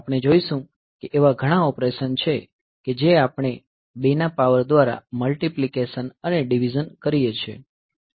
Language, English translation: Gujarati, So, we will find that there are many operations that we do our multiplication and divisions by powers of 2